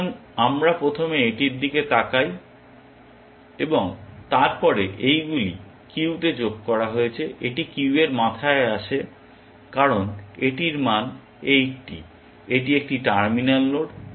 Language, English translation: Bengali, So, we first look at this and then so, all these added to the queue, this comes to the head of the queue because it has a value of 80, it is a terminal node